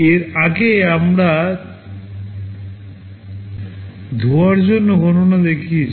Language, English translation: Bengali, Earlier we showed the calculation for the washing example